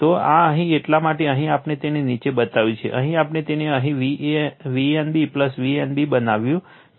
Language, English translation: Gujarati, So, this here that is why here we have made it low, here we made it V a n plus V n b here